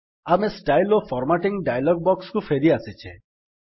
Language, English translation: Odia, We are back to the Styles and Formatting dialog box